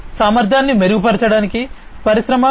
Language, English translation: Telugu, 0, improving efficiency in the Industry 4